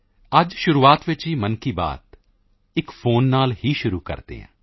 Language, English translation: Punjabi, Let us begin today's Mann Ki Baat with a phone call